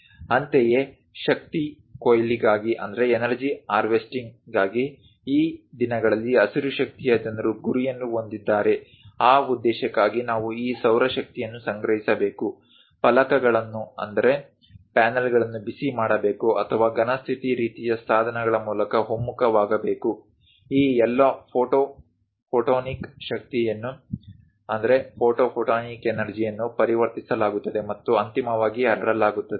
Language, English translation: Kannada, Similarly, for energy harvesting, these days green energy people are aiming for; for that purpose, we have to collect this solar power, heat the panels or converge through pressure electric kind of materials or perhaps through solid state kind of devices, all this photo photonic energy will be converted and finally transmitted